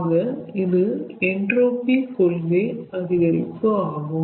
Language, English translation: Tamil, so this is called increase of entropy principle